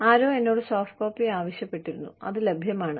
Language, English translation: Malayalam, Somebody had asked me, for softcopy, was available